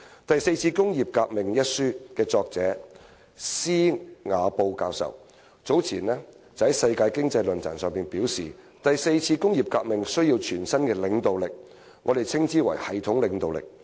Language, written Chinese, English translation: Cantonese, 《第四次工業革命》一書的作者施瓦布教授早前在世界經濟論壇上表示："第四次工業革命需要全新的領導力，我們稱之為'系統領導力'。, Prof Klaus SCHWAB the author of the book The Fourth Industrial Revolution said earlier at the World Economic ForumThe fourth industrial revolution requires new leadership which we call systemic leadership